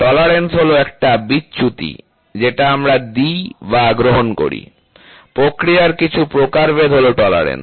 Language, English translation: Bengali, Tolerance is the deviation which we give or we accept, some variation in the process is tolerance